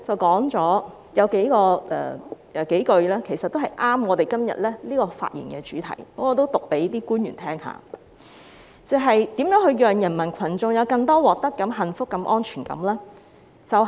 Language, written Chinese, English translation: Cantonese, 當中有幾句很切合我們今天的辯論主題，我讀出來給各位官員聽聽："如何讓人民群眾有更多獲得感、幸福感、安全感？, A few lines in the book are very relevant to the subject of our debate today . Let me read them out to the officials . How can we bring a sense of gain happiness and security to the people?